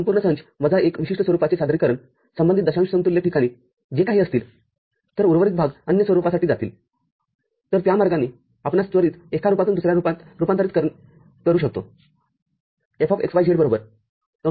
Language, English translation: Marathi, So, the whole set minus one particular from representation, whatever are the corresponding decimal equivalent places, then remaining is going for the other form, so that is the way we can quickly convert from one form to another